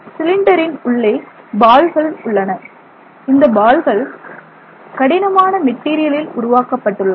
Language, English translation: Tamil, Now, inside the cylinder you have balls, specific balls, these are hard balls made of hard materials